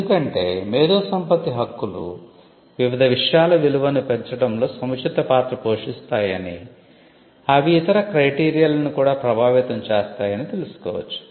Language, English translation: Telugu, Because when you see that intellectual property rights play a cumulative role in changing various things which can affect other parameters as well